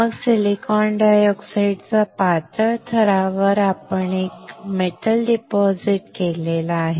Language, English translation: Marathi, Then on this thin layer of silicon dioxide we have deposited a metal